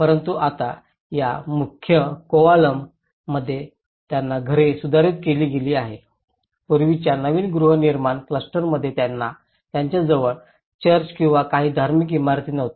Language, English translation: Marathi, But now, the same houses have been modified in this main Kovalam, in the new housing clusters earlier, they were not having a church or some religious building in the close proximity